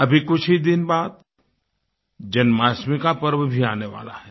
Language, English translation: Hindi, In a few days from now, we shall celebrate the festive occasion of Janmashtami